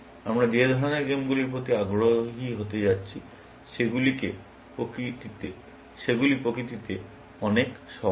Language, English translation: Bengali, The kind of games that we are going to be interested in, are much simpler in nature